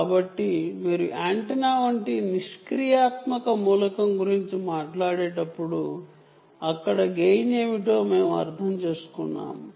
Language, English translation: Telugu, so, when you talk about a passive element like an antenna, what is gain there